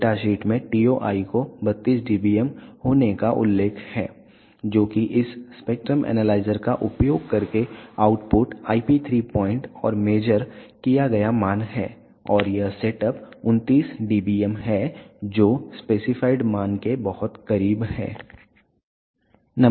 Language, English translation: Hindi, The data sheet mentions the TOI to be 32 dBm which is the output IP 3 point and the major value by using this spectrum analyzer and this setup is 29 dBm which is very close to the specified value